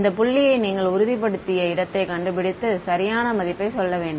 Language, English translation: Tamil, You should look for this point which has where it has stabilized and say that this is the correct value